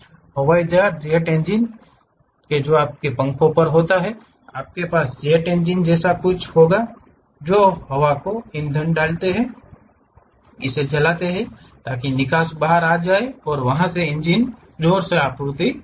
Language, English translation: Hindi, The aeroplanes, the jet engines what you have on the wings, you will have something like jet engines which grab air put a fuel, burn it, so that exhaust will come out and that can supply the thrust of that engine